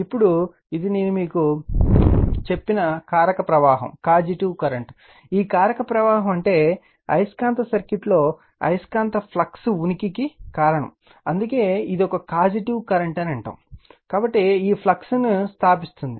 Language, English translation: Telugu, Now, which is the causative current I told you, this causative current means cause of the existence of a magnetic flux in a magnetic circuit right that is why we call it is a causative current, so establishing this flux